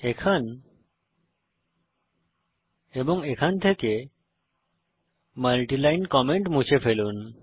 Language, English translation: Bengali, Delete the multiline comments from here and here